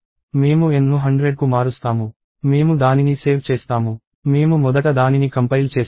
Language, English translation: Telugu, I change N to hundred, I save it, I compile it first